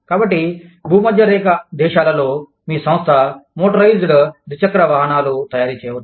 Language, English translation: Telugu, So, in the equatorial countries, your organization could be manufacturing, motorized two wheelers